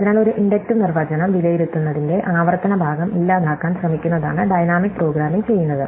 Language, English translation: Malayalam, So, what dynamic programming does is it tries to eliminate the recursive part of evaluating an inductive definition